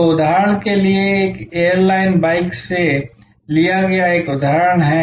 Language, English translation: Hindi, So, for example, this is a example taken from airline carriers